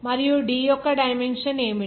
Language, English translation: Telugu, And what is the dimension of D